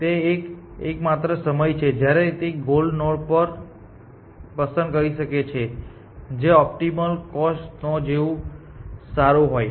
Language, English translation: Gujarati, So, the only time it can pick a goal node is that if it is at least as good as the optimal cost node essentially